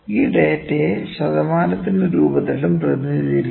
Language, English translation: Malayalam, We having some data, we can put that data into percentages as well